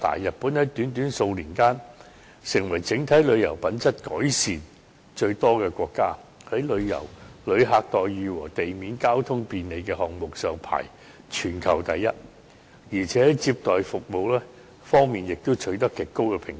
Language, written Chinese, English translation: Cantonese, 日本在短短數年間，成為整體旅遊品質改善最多的國家，在"旅客待遇"和"地面交通便利"項目上排行全球第一，而且在"接待服務"方面也取得極高的評價。, In just a few years Japan had become the most improved country in terms of tourism quality . It was ranked the highest globally in the areas of degree of customer orientation and ground transport efficiency and also received a very high rating in respect of hospitality service